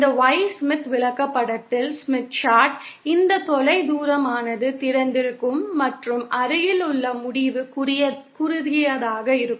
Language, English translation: Tamil, In this Y Smith chart, this far end will be open and near end will be short